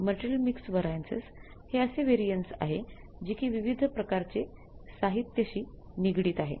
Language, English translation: Marathi, Material mixed variance is basically the variance with regard to the mix of the different types of materials